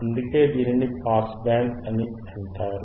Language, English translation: Telugu, That is why it is called pass band